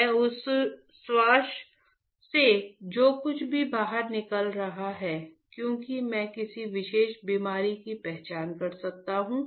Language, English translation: Hindi, Whatever I am exhaling from that my exhale breath, can I identify a particular disease